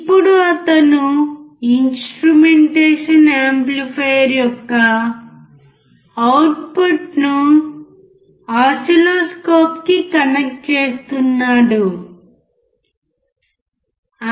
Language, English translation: Telugu, Now he is connecting the output of the instrumentation amplifier with the oscilloscope